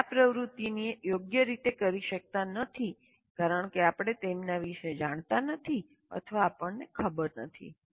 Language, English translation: Gujarati, Or we may not be able to perform these activities properly because we are not aware of it and we do not know what is earlier